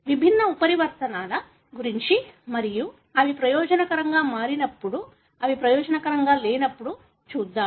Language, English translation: Telugu, Let us see about the different mutations and when they become beneficial, when they may not be beneficial